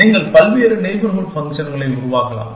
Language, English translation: Tamil, You can generate a variety of neighborhood functions